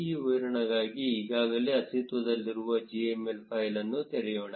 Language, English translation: Kannada, Let us open an already existing gml file for this demo